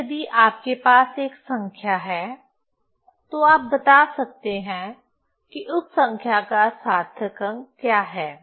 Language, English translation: Hindi, Now, so, if you have a number, then you can tell what is the significant figure of that number